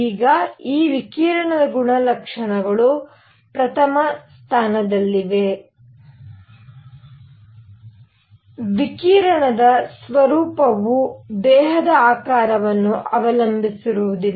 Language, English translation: Kannada, Now the properties of this radiation is number one the nature of radiation does not depend on the geometric shape of the body